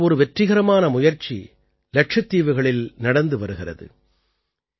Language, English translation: Tamil, One such successful effort is being made in Lakshadweep